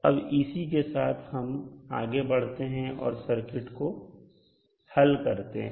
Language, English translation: Hindi, So with these 2 things let us proceed to solve the circuit